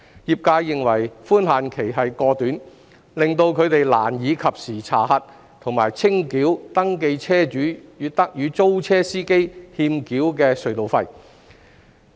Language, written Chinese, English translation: Cantonese, 業界認為寬限期過短，令他們難以及時查核和清繳登記車主與租車司機欠繳的隧道費。, The trades have considered the grace period too short for them to check and settle the outstanding tolls between the registered vehicle owners and the rentee - drivers in a timely manner